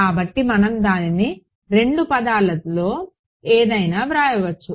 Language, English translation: Telugu, So, we can write it in either terms